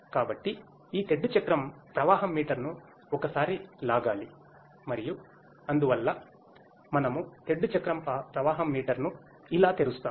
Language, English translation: Telugu, So, this paddle wheel flow meter needs to be a pull and so, this is how we open the paddle wheel flow meter